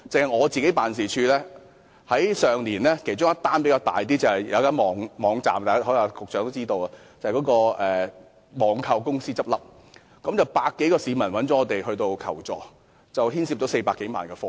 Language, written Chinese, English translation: Cantonese, 我個人辦事處上年收到涉及人數較多的一宗投訴——局長可能也知道——就是一間網購公司結業，有百多位市民向我們求助，涉及400多萬元的貨物。, Amongst the cases that my office received last year the one involving relatively more people―probably the Secretary knows about it as well―is related to the closure of an online shopping company . More than a hundred people thus approached us for assistance and some 4 million worth of goods were involved